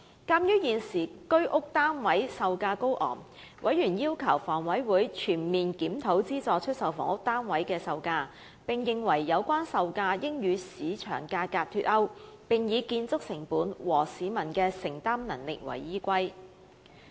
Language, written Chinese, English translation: Cantonese, 鑒於現時居屋單位售價高昂，委員要求房委會全面檢討資助出售房屋單位的售價，並認為有關售價應與市場價格脫鈎，改以建築成本及市民的承擔能力為基本考慮因素。, Given the current high prices of Home Ownership Scheme HOS flats members request the HA to comprehensively review the selling prices of subsidized sale housing which they considered should be delinked from market prices as well as set on the basic considerations of construction costs and the ability of the public to afford